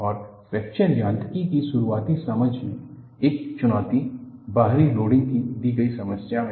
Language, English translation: Hindi, And, one of the challenges in early understanding of Fracture Mechanics is, in a given problem of external loading